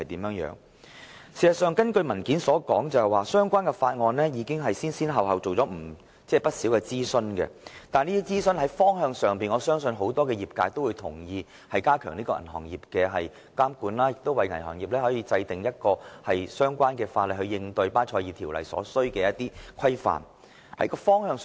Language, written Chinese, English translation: Cantonese, 據資料摘要所述，當局已就《條例草案》進行不少諮詢，我相信業界人士皆同意有關方向，即加強對銀行業的監管，以及為銀行業制定相關法例，以應對巴塞爾銀行監管委員會的新標準。, According to the Legislative Council Brief the authorities had done a lot of consultation on the Bill . I believe members of the industry agree to the direction of enhancing regulation of the banking industry as well as enacting the relevant banking legislation in response to the new standards of the Basel Committee on Banking Supervision